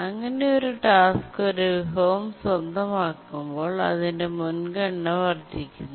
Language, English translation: Malayalam, When a task is granted a resource, its priority actually does not change